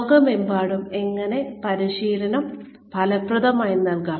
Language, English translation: Malayalam, How can training be effectively delivered worldwide